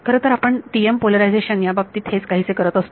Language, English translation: Marathi, In fact, that is what we do in the case of the TM polarization